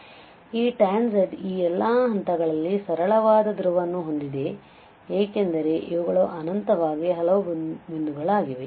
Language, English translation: Kannada, So, this tan z has simple pole at this point or all these points indeed because these are infinitely many points